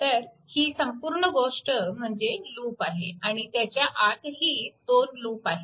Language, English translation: Marathi, So, this whole thing is a loop, but within that also 2, this 2 loops are there